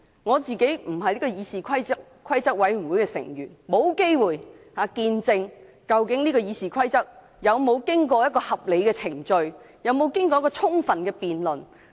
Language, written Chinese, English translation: Cantonese, 我本身不是議事規則委員會的委員，沒有機會見證究竟《議事規則》的修訂建議有否經過合理的程序及充分的辯論。, I am not a member of the Committee on Rules of Procedure so I have not had the opportunity to witness whether the amendments to RoP have gone through a due process and have been sufficiently debated